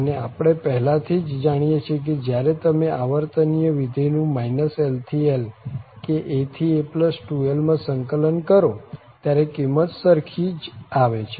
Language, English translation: Gujarati, And we can we know already for periodic function where are you integrate from minus l to l or from a to a plus 2l, the value will be the same